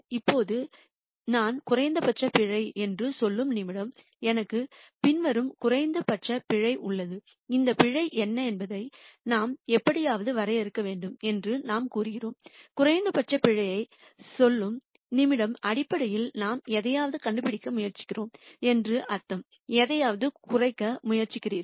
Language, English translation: Tamil, Now, the minute I say minimum error, then I have the following minimum error, we said we have to define what this error is somehow, and the minute we say minimum error that basically means we are trying to find something which is the best we are trying to minimize something